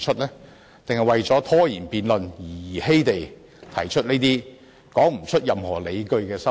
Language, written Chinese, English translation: Cantonese, 還是為了拖延辯論而兒戲地提出這些說不出任何理據的修訂？, Or do Members arbitrarily propose amendments without justifications just to prolong the debate time?